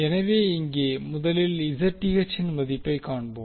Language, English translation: Tamil, So now you got the value of I